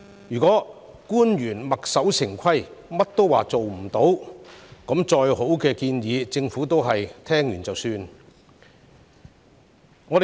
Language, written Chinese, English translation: Cantonese, 如果官員墨守成規，事事都說辦不到，即使有再好的建議，政府也只會聽過便算。, If government officials remain closed - minded and say no to everything the Government will end up ignoring all suggestions no matter how good they are